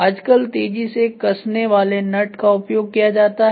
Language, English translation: Hindi, There are quick fastening nuts which have come into action